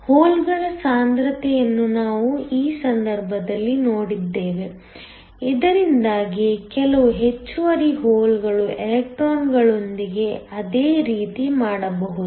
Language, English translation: Kannada, We saw in this case that we can plot the concentration of holes, so that there is some excess holes can do the same with electrons